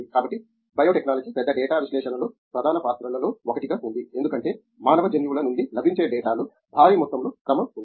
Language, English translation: Telugu, So, in which biotechnology place one of the major roles in large data analysis because there is a huge amount of sequence in data available from human genomes